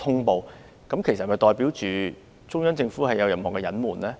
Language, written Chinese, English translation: Cantonese, 這是否代表中央政府有所隱瞞？, Does it mean the Central Government has covered up something?